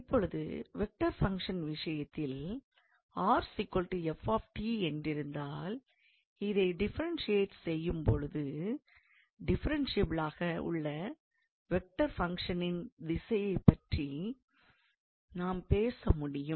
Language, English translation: Tamil, Now, in case of vector functions, let us say we have r is equals to f t, when we differentiate this one we can talk about a direction in which this vector function can be differentiable